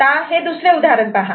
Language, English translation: Marathi, Now, we look at the other example